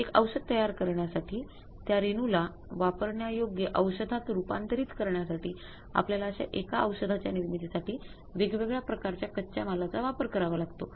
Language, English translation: Marathi, For manufacturing one drug, converting that molecule into the usable drug, we have to use the multiple type of the materials for manufacturing the one drug